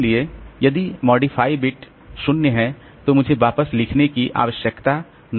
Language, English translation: Hindi, So, if the modified bit is zero I don't need to write back so that will save my time